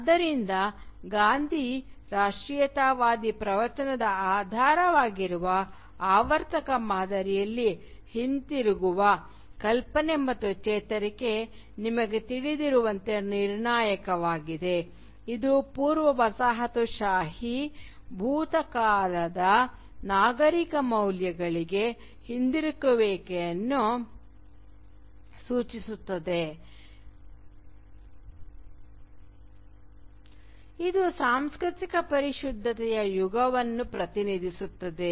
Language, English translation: Kannada, In the cyclical pattern underlying the Gandhian nationalist discourse therefore, the notion of return and the recovery which is crucial as you will know signifies a reverting back to the civilizational values of a precolonial past which represents an era of cultural purity